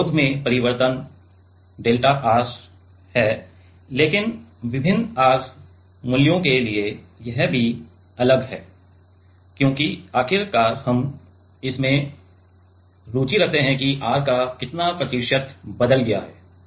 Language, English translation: Hindi, Change in resistance is delta R, but for different R value it is also different right because ultimately what we are interested in it how much percentage of R is changed right